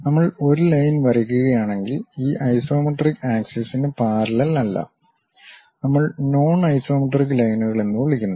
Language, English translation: Malayalam, If we are drawing a line, not parallel to these isometric axis; we call non isometric lines